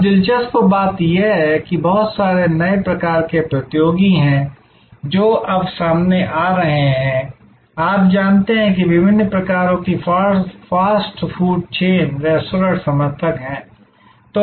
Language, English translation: Hindi, Now, the interesting thing is there are so many new types of competitors, which are now coming up, you know the fast food chain of different types, restaurants are proliferating